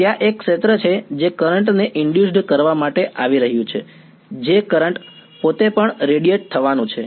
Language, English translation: Gujarati, There is a field that is coming in inducing a current that current itself is also going to radiate